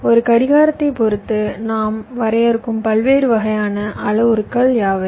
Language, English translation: Tamil, what are the different kinds of parameters that you define with respect to a clock